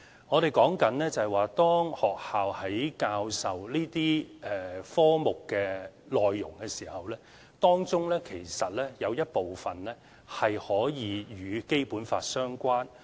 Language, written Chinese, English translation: Cantonese, 我們說的是，當學校教授這些科目內容的時候，當中有一部分可以與《基本法》相關。, What we mean is that when teaching these subjects schools may relate the relevant contents to the Basic Law